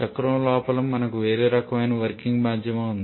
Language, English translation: Telugu, And inside the cycle we are having some other kind of working medium